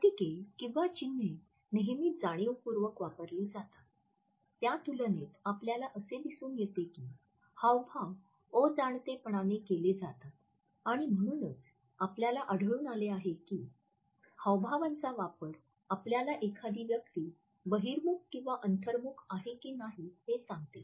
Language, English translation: Marathi, In comparison to emblems which are always used in a conscious manner we find that illustrators are unconscious, and that is why we find that the use of illustrators also tells us whether a person is an extrovert or an introvert